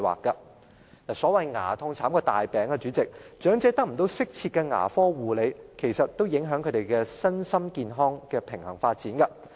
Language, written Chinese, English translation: Cantonese, 主席，所謂"牙痛慘過大病"，長者得不到適切的牙科護理，其實也影響他們身心健康的平衡發展。, President as reflected in the saying a toothache is much worse than a serious illness the balanced development of the physical and mental health of elderly persons will in fact be upset if they are not provided with appropriate dental care services